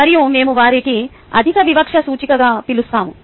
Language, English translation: Telugu, clearly we call those as high discriminating index